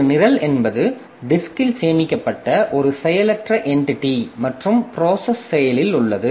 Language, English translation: Tamil, A program is a passive entity stored on disk and process is active